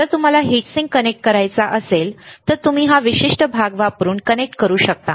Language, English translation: Marathi, If you want to connect the heat sink, then you can connect it using this particular part